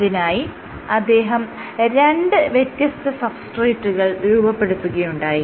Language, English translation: Malayalam, What he did was he created 2 substrates